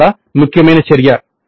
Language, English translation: Telugu, This is an extremely important activity